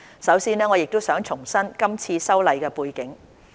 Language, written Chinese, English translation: Cantonese, 首先，我想重申今次修例的背景。, First I would like to reiterate the background of this legislative amendment